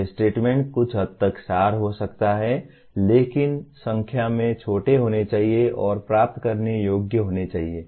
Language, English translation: Hindi, These statements can be abstract to some extent but must be smaller in number and must be achievable